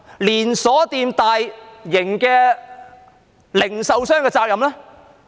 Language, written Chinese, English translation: Cantonese, 連鎖店和大型零售商的責任呢？, What about the responsibility of chain stores and large retailers?